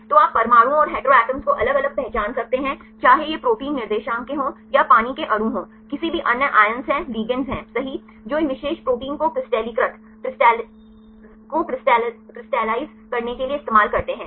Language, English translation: Hindi, So, you can distinguish the atoms and heteroatoms right whether these belongs to protein coordinates or it is a water molecules are any other ions are the ligands right they used to crystallize that cocrystallize these particular protein